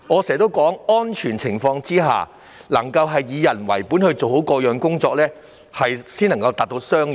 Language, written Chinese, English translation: Cantonese, 在安全的情況下以人為本地處理好各項工作，才可達致雙贏。, Only when all work is safely done in a humane manner can a win - win situation be achieved